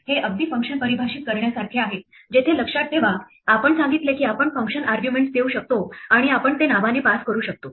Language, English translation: Marathi, This is exactly like defining a function where remember, we said that we could give function arguments and we could pass it by name